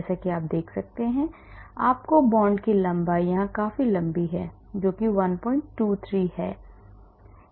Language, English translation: Hindi, as you can see you get the bond length here quite a quite a long, 1